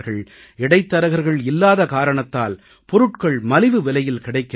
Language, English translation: Tamil, As there are no middlemen, the goods are available at very reasonable rates